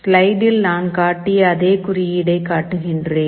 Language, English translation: Tamil, We show that same code that we have shown on the slide